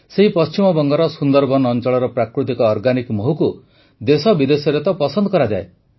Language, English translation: Odia, The natural organic honey of the Sunderbans areas of West Bengal is in great demand in our country and the world